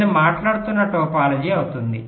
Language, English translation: Telugu, that will be the topology that i am talking about